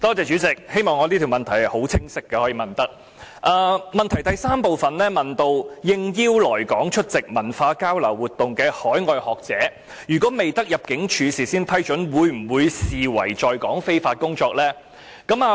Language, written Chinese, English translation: Cantonese, 主體質詢第三部分問及應邀來港出席文化交流活動的海外學者，如果未得入境事務處事先批准，會否被視為在港非法工作？, Part 3 of the main question asked whether the overseas scholars who have come to Hong Kong to attend cultural exchange activities on invitation will be regarded as working illegally in Hong Kong without prior approval of the Director of Immigration